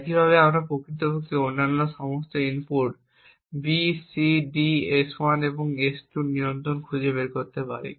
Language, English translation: Bengali, Similarly, we can actually find the control of all other inputs B, C, D, S1 and S2 and these happen to be 0